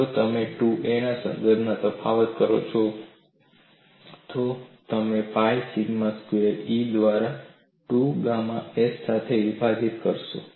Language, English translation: Gujarati, If you differentiate with respect to 2a, you will get this as pi sigma squared a divided by E equal to 2 gamma s